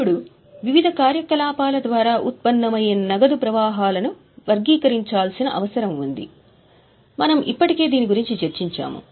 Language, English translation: Telugu, Now, the cash flows which are generated through various activities are actually required to be classified